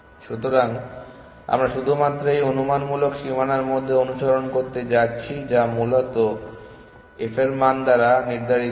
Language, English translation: Bengali, So, we are only going to search within this hypothetical boundary, which is determined by the f value essentially